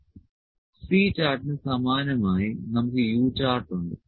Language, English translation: Malayalam, Similar to C chart we have U chart